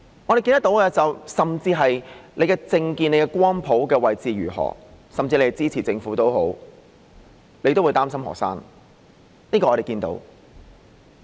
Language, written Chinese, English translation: Cantonese, 我們看到的是，無論你的政見或光譜的位置如何，甚至你是支持政府也好，你都會擔心學生，這個情況我們是看到的。, We see that regardless of political views or positions on the political spectrum even if you support the Government you would worry about the students . This is the situation we see now